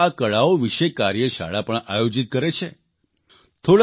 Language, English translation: Gujarati, And now, she even conducts workshops on this art form